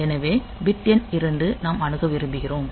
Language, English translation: Tamil, So, bit number 2 we want to access